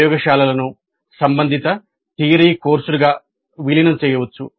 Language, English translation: Telugu, The laboratories may be integrated into corresponding theory courses